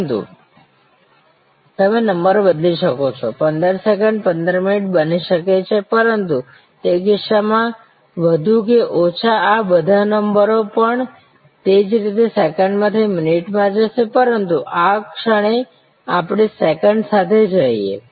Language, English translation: Gujarati, But, you can change the number 15 seconds can become 15 minutes, but in that case more or less all of these numbers will also similarly go from second to minutes, but at the moment let us stay with the seconds